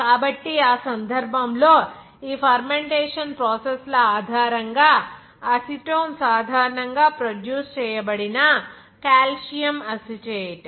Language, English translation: Telugu, So, in that case, calcium acetate from which acetone was normally produced based on these fermentation processes